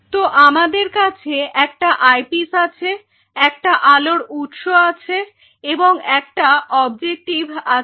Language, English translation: Bengali, So, we will have an eyepiece we will have a source of light eyepiece give an objective